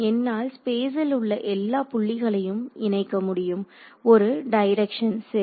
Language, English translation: Tamil, So, I am able to associate at each point in space, a direction ok